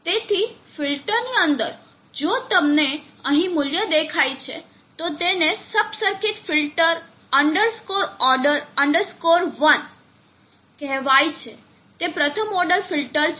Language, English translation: Gujarati, So within the filter if you see the value here it is calling the sub circuit felt underscore order underscore one is a first order